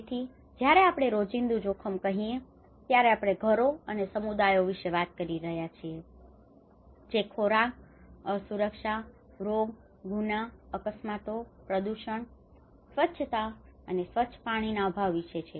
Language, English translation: Gujarati, Everyday risk, so when we say everyday risk, we are talking about households and communities exposed to foods, insecurity, disease, crime, accidents, pollution, lack of sanitation and clean water